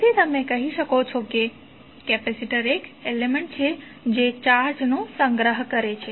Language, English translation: Gujarati, So, therefore you can say that capacitor is an element which stores charges